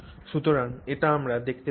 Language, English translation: Bengali, So, this is what we see